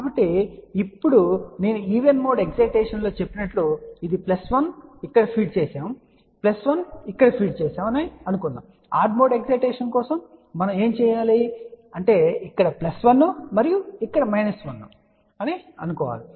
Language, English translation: Telugu, So, now, as I said even mode excitation its assuming that this is plus 1 fed here plus 1 fed here, and for odd mode excitation what we are going to do we will say plus 1 here and minus 1 over here